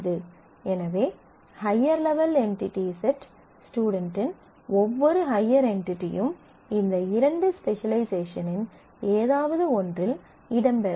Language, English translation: Tamil, So, every high entity at the higher level entity set student must feature in one of these two specializations